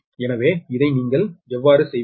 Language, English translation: Tamil, so how you will do this, right